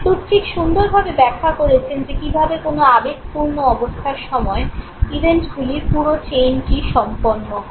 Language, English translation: Bengali, Plutchik has beautifully explained how the whole chain of events is completed during any emotional state